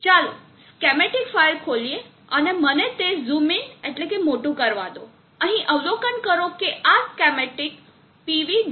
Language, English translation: Gujarati, Let us open schematic file and let me zoom in observe here that this schematic is linked to PV